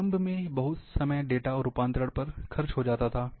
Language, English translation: Hindi, Initially,lot of time used to spend, on data conversion